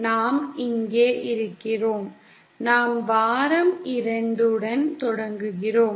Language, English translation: Tamil, We are here, we are starting with week 2